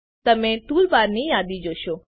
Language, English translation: Gujarati, You will see the list of toolbars